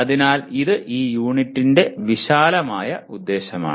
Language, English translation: Malayalam, So this is broadly the outcome of this unit